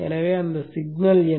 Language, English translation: Tamil, So what is that signal